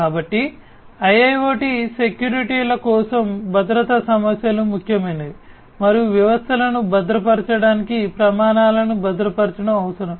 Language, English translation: Telugu, So, for industrial internet IIoT securities security issues are important and securing the standards for securing the systems are required to be designed